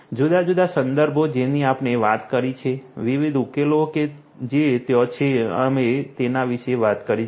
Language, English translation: Gujarati, The different references, we have talked about; different solutions that are there, we are talked about